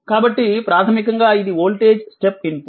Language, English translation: Telugu, So, basically it is a voltage step input